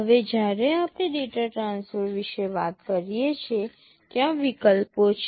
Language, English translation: Gujarati, Now, when we talk about data transfer there are options